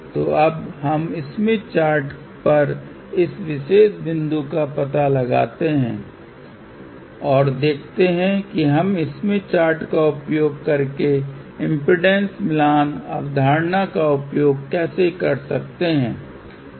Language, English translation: Hindi, So now, let us locate this particular point on the smith chart and let us see how we can use impedance matching concept using smith chart